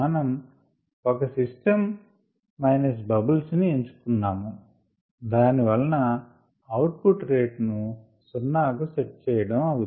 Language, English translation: Telugu, we have chosen this particular system broth minus bubbles so that we could actually set the output rate to be equal to zero